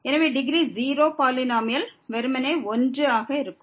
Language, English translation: Tamil, So, the polynomial of degree 0 will be simply 1